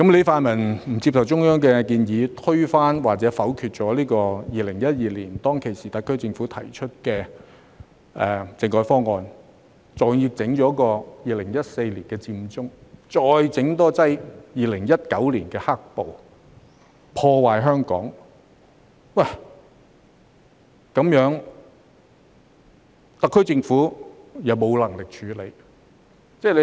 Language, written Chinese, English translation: Cantonese, 泛民不接受中央的建議，推翻或否決2012年特區政府提出的政改方案，還要在2014年弄出佔中，更在2019年弄出"黑暴"，破壞香港，而特區政府卻沒有能力處理。, The pan - democratic camp did not accept the Central Authorities proposal and overturned or vetoed the political reform package proposed by the SAR Government in 2012 . They even staged the Occupy Central incident in 2014 and the black - clad violence in 2019 wreaking havoc on Hong Kong . The SAR Government was incapable of handling it